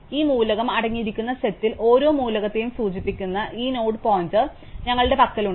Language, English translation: Malayalam, So, we have this node pointer which points to each element in the set where it currently lies, which node contains that element